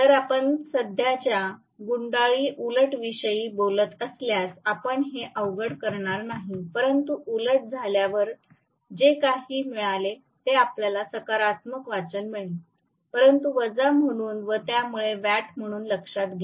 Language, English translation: Marathi, So, you would not this difficultly if we are talking about reversing the current coil, but whatever you got as may be after reversing you will get a positive reading but note it down as minus so and so watt